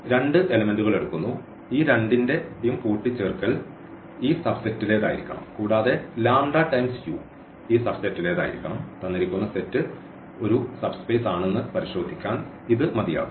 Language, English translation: Malayalam, We take the two elements any two elements the sum the addition of these two must belong to this subset and also the lambda u must belong to this subset and that is enough to check that the given space given vector space is a is a subspace